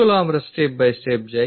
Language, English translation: Bengali, Let us go step by step